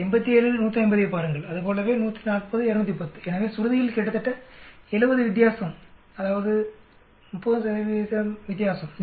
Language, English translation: Tamil, Look at this 87, 150 similarly 140, 210, so almost 70 difference in the pitch that means about 30 percent difference